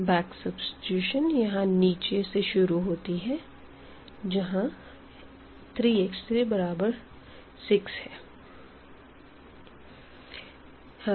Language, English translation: Hindi, So, back substitution we will start from the bottom here where the 3 is equal to 6